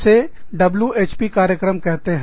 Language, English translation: Hindi, They are called, WHP Programs